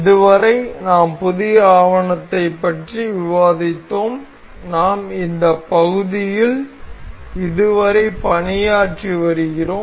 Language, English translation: Tamil, Up till now we have discussed the new document, we were we have been working on this part